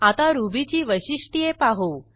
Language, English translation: Marathi, Now let us see some features of Ruby